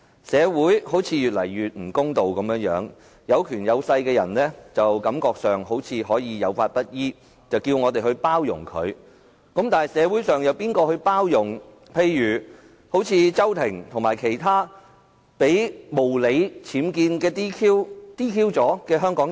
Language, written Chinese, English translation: Cantonese, 社會似乎越來越不公道，有權有勢的人，似乎可以有法不依，卻叫我們去包容，但社會上又有誰包容例如周庭和其他被無理 "DQ" 的香港人？, Society seems to be increasingly unfair . People with money and power can seemingly refuse to abide by the law yet we are asked to be tolerant . Then who in the community will be tolerant of people like CHOW Ting and others who have been unreasonably disqualified?